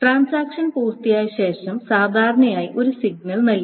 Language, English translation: Malayalam, So after the transaction is completed, there is generally a signal given